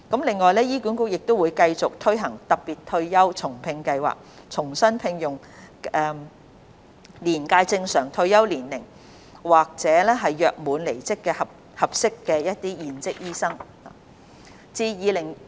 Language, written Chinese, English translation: Cantonese, 另外，醫管局亦會繼續推行"特別退休後重聘計劃"，重新聘用年屆正常退休年齡退休或約滿離職的合適現職醫生。, Besides HA will continue with the Special Retired and Rehire Scheme to rehire suitable serving doctors upon their retirement at normal retirement age or leaving the service upon completion of contract